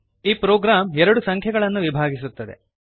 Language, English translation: Kannada, This program divides two numbers